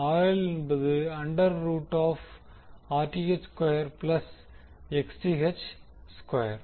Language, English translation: Tamil, RL would be equal to under root of Rth square plus Xth square